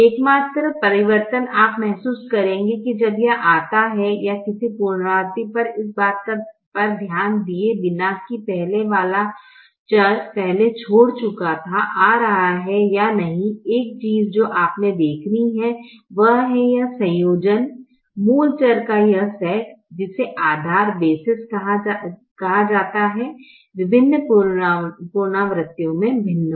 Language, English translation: Hindi, the only change is you will realize that when it comes, or at any iteration, irrespective of whether an earlier variable that had earlier left is coming in or not, one thing that you have to see is this combination, this set of basic variables, which is called bases, which is called bases, will be different in different iterations